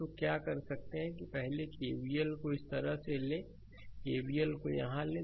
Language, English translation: Hindi, So, what you can do is that first take KVL like this, you take KVL here